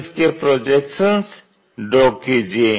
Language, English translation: Hindi, So, project these points